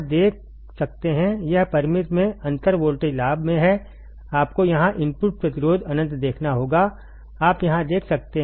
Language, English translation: Hindi, It has in differential voltage gain in finite right, you have to see here input resistance infinite, you can see here right